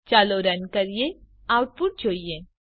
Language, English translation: Gujarati, Let us Run and see the output